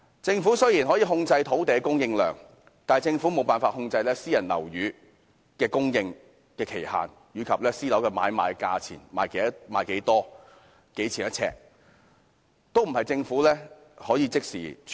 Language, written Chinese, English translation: Cantonese, 政府雖然可以控制土地的供應量，但無法控制私人樓宇的供應期及買賣價格，出售的單位數目及呎價政府均不可能即時處理。, Although the Government can control the volume of land supply it cannot control when private flats are put on sale their selling prices the number of flats put on sale as well as the per - square - foot selling price . No immediate action can thus be taken by the Government